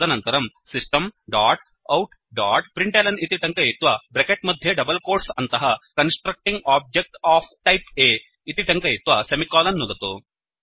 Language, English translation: Sanskrit, Then type System dot out dot println within brackets and double quotes Constructing object of type A semicolon